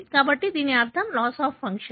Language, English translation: Telugu, So, it is a loss of function